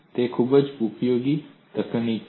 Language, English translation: Gujarati, It is a very useful technique